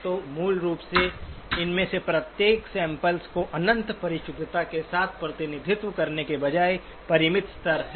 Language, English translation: Hindi, So basically each of these samples instead of being represented with the infinite precision, do have finite levels